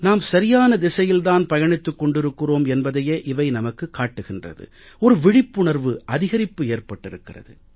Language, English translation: Tamil, All these things are a sign that we are moving in the right direction and awareness has also increased